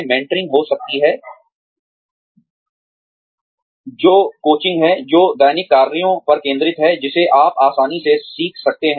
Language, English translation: Hindi, There could be mentoring, which is coaching, that focuses on, daily tasks, that you can easily re learn